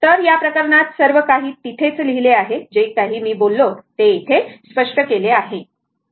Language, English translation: Marathi, So, in this case everything is written there, whatever I said everything is explained here, right